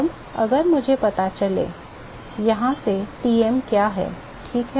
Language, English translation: Hindi, Now, if I find out, what is Tm from here, ok